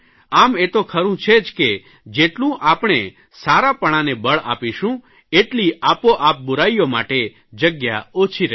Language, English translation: Gujarati, It is true that the more we give prominence to good things, the less space there will be for bad things